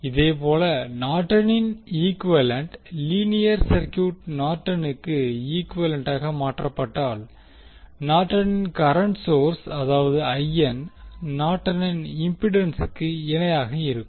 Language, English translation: Tamil, Similarly, in case of Norton’s equivalent linear circuit will be converted into the Norton’s equivalent where current source that is Norton’s current source that is IN will have the Norton’s impedance in parallel